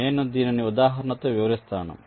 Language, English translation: Telugu, then i will illustrate with an example